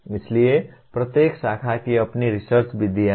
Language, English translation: Hindi, So each branch has its own research methods